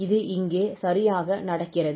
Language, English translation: Tamil, So this is exactly happening here